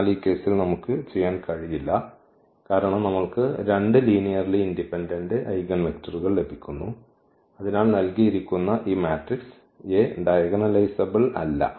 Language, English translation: Malayalam, So, we cannot do in this case because we are getting 2 linearly independent eigenvectors and therefore, this matrix A is not diagonalizable